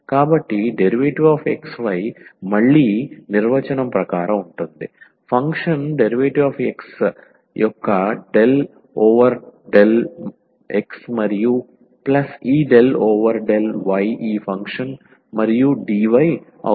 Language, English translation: Telugu, So, the differential of this xy is again as per the definition, so, del over del x of the function dx and plus this del over del y of this given function and dy